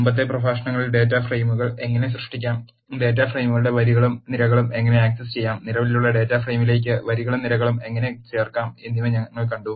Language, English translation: Malayalam, In the previous lectures, we have seen how to create data frames, How to access rows and columns of data frames, How to add rows and columns to existing data frame